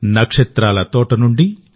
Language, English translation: Telugu, From the garden of the stars,